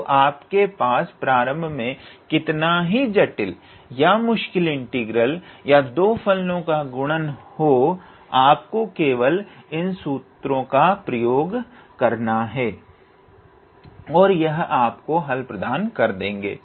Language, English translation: Hindi, So, even to you initially have a very complicated or a difficult integral or a product of 2 functions to you just have to use these formula and that will give you the answer